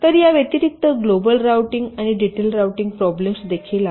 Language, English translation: Marathi, so, addition to this, there are global routing and detailed routing problem